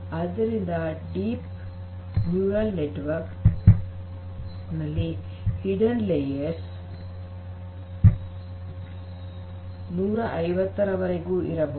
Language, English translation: Kannada, So, it is said that the deep neural network can have up to 150 hidden layers